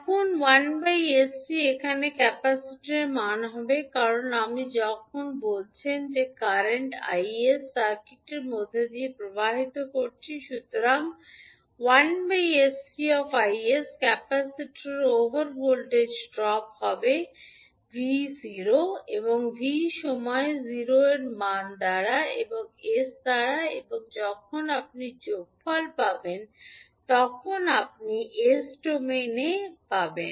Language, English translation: Bengali, Now, plus 1 upon sc will be the value of the capacitor here because when you say the current is i s flowing through the circuit so i s into 1 by sc will be the drop of across capacitor plus the voltage that is v0 at v at time t equal to 0 and by s and when you sum up you will get the value at v in s domain